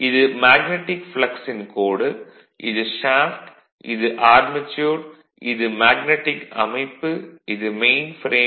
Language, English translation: Tamil, So, this is the typical line of magnetic flux, this is a shaft, this is the armature and this is a magnetic structure